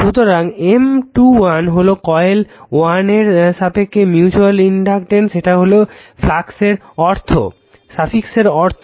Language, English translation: Bengali, So, M 21 mutual inductance of coil 2 with respect to coil 1 this is the meaning of the suffix right